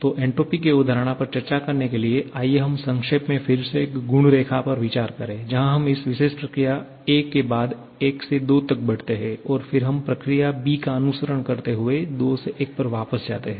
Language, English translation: Hindi, So, to discuss the concept of entropy, let us briefly consider again a property diagram where we move from a point 1 to 2 following this particular process a and then we go back from 2 to 1 following the process b